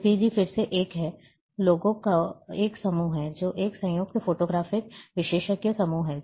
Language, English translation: Hindi, JPEG again is a, is a group of people, which is a joint photographic experts group